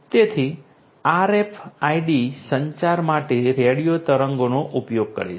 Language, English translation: Gujarati, So, here RFID will use RFID uses radio waves for communication